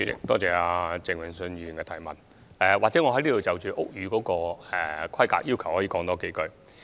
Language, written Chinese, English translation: Cantonese, 多謝鄭泳舜議員的補充質詢，或許我就屋宇規格的要求多說幾句。, I thank Mr Vincent CHENG for his supplementary question . Let me say a few more words about building requirements